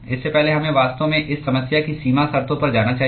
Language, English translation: Hindi, Before that we should actually go to the boundary conditions of this problem